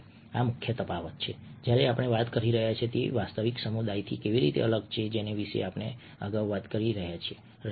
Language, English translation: Gujarati, this is the key difference when we are talking about how it is different from the real community that we were talking about earlier